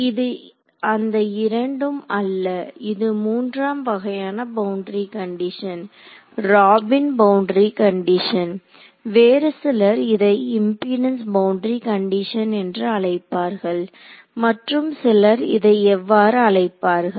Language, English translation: Tamil, So in fact, this is neither of the two this is a third kind of boundary condition its called a Robin boundary condition some people call it a another set of people call it a impedance boundary condition and another set of people will call it a